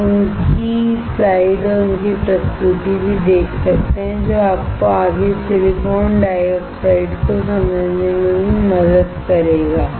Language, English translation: Hindi, You can also see his slides and his presentation which will also help you to understand further silicon dioxide